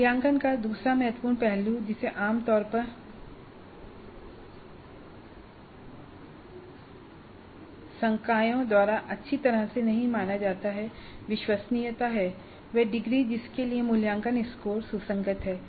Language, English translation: Hindi, The second important aspect of assessment which generally is not considered well by many faculty is reliability, degree to which the assessments course are consistent